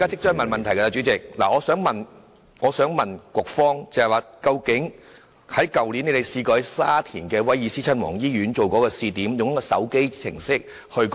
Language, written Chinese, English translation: Cantonese, 主席，我想詢問局方有關去年以沙田威爾斯親王醫院作試點的一項計劃。, President I would like to ask the Bureau about a pilot scheme tried out at the Prince of Wales Hospital in Sha Tin last year